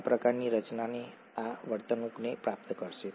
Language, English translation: Gujarati, This kind of a formulation would yield this behaviour